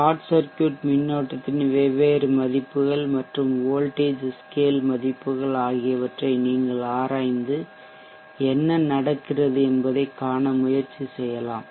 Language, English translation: Tamil, You can also explore with the different values of short circuit current and the voltage scale values and try to see what happens